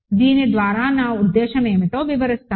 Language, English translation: Telugu, What I mean by this I will explain